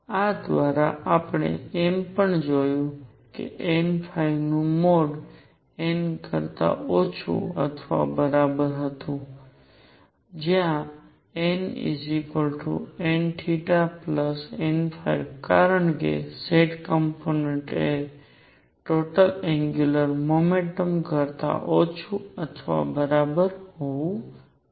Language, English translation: Gujarati, Through this we also found that mod of n phi was less than or equal to n, where n is equal to n plus n theta plus mod n phi, because z component has to be less than or equal to the total angular momentum